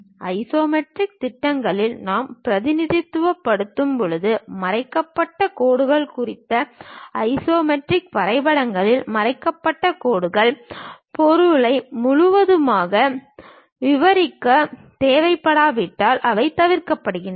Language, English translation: Tamil, Regarding hidden lines when we are representing on isometric projections; in isometric drawings, hidden lines are omitted unless they are absolutely necessary to completely describe the object